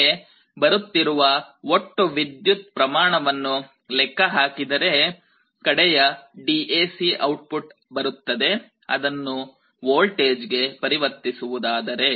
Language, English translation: Kannada, If I have a mechanism to calculate the total current that is finally coming out, then that will give you a final DAC output, if you can convert it into a voltage